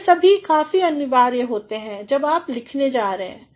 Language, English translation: Hindi, So, all these are quite mandatory when you are going to write